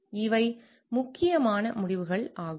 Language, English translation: Tamil, These are important decisions